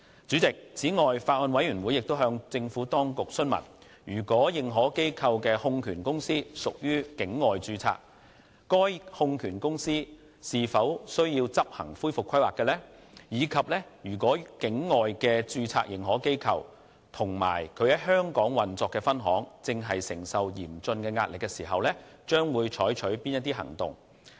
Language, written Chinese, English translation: Cantonese, 此外，法案委員會亦向政府當局詢問，認可機構的控權公司如屬境外註冊，該控權公司是否需要執行恢復規劃；以及如果境外註冊認可機構或其在香港運作的分行正承受嚴峻壓力，將會採取的行動為何。, Moreover the Bills Committee enquires whether recovery planning will be required for AIs holding companies which are incorporated overseas and what actions will be taken in case an overseas - incorporated AI or its branch operations in Hong Kong is under severe stress